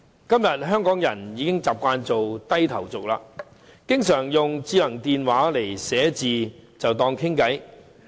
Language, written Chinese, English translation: Cantonese, 今天香港人已經習慣做"低頭族"，經常利用智能電話書寫文字來與人聊天。, Nowadays many Hong Kong people are phubbers who chat with others by smartphone texting